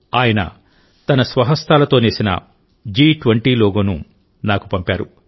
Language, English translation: Telugu, He has sent me this G20 logo woven with his own hands